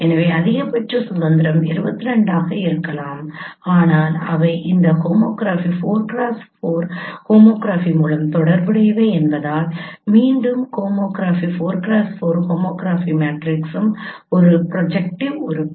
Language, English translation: Tamil, But since they are related by this homography 4 cross 4 homography, once again homograph 4 cross 4 homography matrix is also a projective element